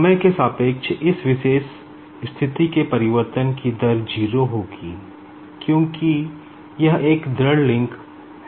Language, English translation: Hindi, Now, the rate of change of this particular position with respect to time will be 0, because this is a rigid link